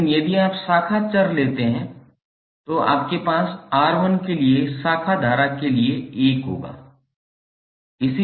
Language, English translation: Hindi, But if you take the branch variable, you will have 1 for branch current for R1